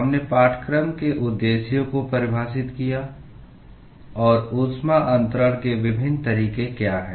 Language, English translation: Hindi, We defined the objectives of the course and what are the different modes of heat transfer